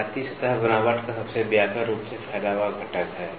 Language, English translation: Hindi, Waviness is the most widely spaced component of surface texture